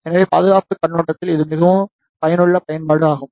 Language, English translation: Tamil, So, this is a very useful application from the security point of view